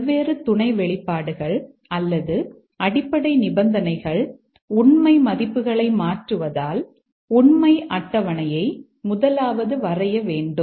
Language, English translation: Tamil, The first step of course is to draw the truth table as the different sub expressions or the basic conditions change their truth values